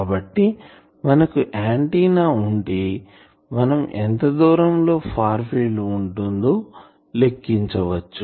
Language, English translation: Telugu, So, now we know if you get a antenna you always can calculate that, at what distance it will have a far field